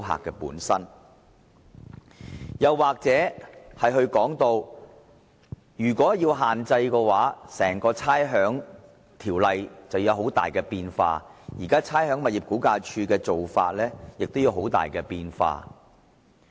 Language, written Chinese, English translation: Cantonese, 其二，如果要施加限制，整項《差餉條例》便會出現重大變化，連差餉物業估價署的做法亦會有很大變化。, Secondly the imposition of any restriction will significantly change the Rating Ordinance and the practices of the Rating and Valuation Department RVD